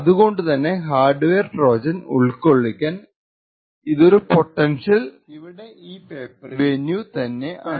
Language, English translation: Malayalam, So, it is in this region that a hardware Trojan is likely to be present